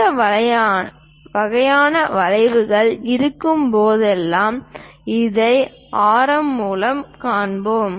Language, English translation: Tamil, Whenever this kind of curves are there, we show it by radius